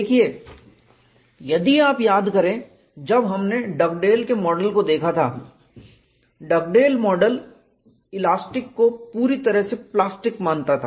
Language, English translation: Hindi, See if you recall, when we had looked at Dugdale’s model, Dugdale model considered elastic perfectly plastic